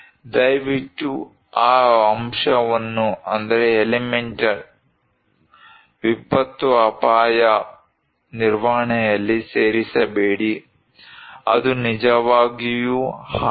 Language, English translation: Kannada, Please do not incorporate that element in disaster risk management, is it really so